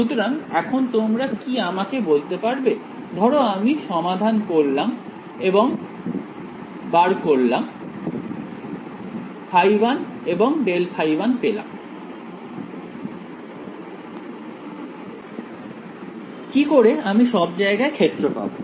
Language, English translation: Bengali, So, now can you tell me supposing I solve for and find phi 1 and grad phi, 1 how will I find the field everywhere